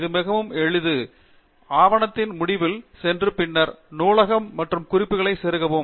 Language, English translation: Tamil, It is quite simple; go to the end of the document, and then, insert the bibliography and references